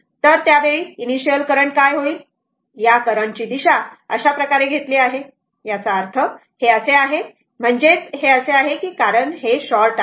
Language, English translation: Marathi, So, at that time what will happen your initial current this current direction is taken like this; that means, it is like this; that means, it is like this because it is short